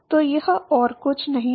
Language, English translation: Hindi, So, this is nothing but